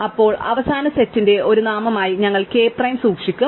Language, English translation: Malayalam, Then, we will keep k prime as a name of the final set